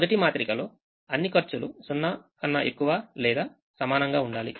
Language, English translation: Telugu, the matrix should have all costs greater than or equal to zero